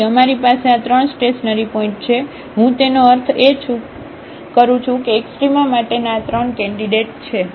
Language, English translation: Gujarati, So, we have these 3 stationary points I mean these 3 candidates for extrema